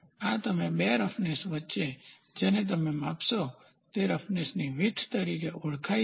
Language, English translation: Gujarati, So, this is the between two roughness you what you measure is called as the roughness width